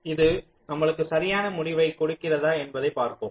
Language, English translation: Tamil, lets see whether this gives us the correct result